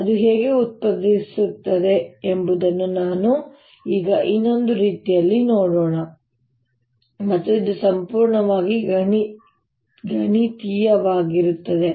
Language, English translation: Kannada, let us now see an another way, how it arises, and this will be purely mathematical